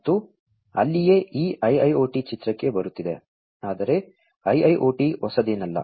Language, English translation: Kannada, And, that is where this IIoT is coming into picture, but a IIoT is not something new, right